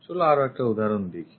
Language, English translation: Bengali, Let us look at other example